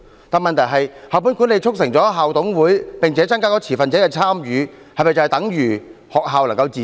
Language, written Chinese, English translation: Cantonese, 但問題是，校本管理促成了校董會，並增加持份者的參與，這是否等於學校能夠自主？, School - based management has facilitated IMCs and increased the participation of stakeholders but does this mean that schools enjoy autonomy?